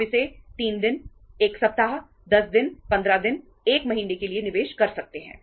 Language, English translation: Hindi, You can invest it for 3 days, 1 week, 10 days, 15 days, 1 month